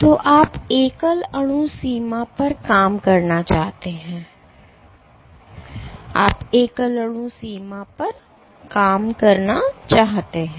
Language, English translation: Hindi, So, you want to operate at the single molecule limit, you want to operate at the single molecule limit ok